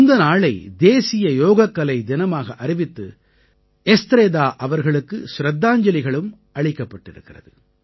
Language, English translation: Tamil, By proclaiming this day as National Yoga Day, a tribute has been paid to Estrada ji